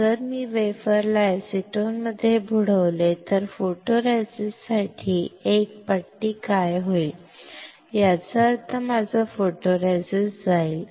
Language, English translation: Marathi, If I dip the wafer in acetone what will happen is a strip for photoresist; that means my photoresist will go